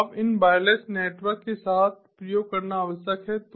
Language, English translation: Hindi, now what is required is to experiment with these wireless networks